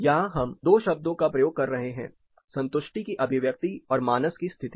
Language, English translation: Hindi, Here, we are using two terms expression and expression of satisfaction, and it is the condition of mind